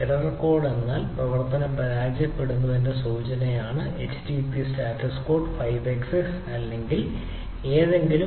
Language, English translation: Malayalam, error code means the indication that the operation has failed such that http status code is five x, s or something right